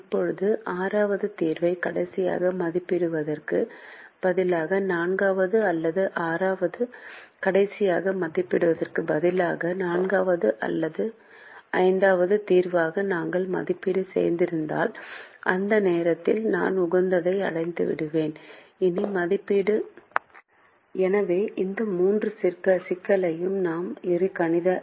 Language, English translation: Tamil, can we make it a part of the algorithm now, instead of evaluating the sixth solution last, if we had evaluated as a fourth or fifth solution, is there a way to understand at that point that i have reached the optimum and i don't have to evaluate anymore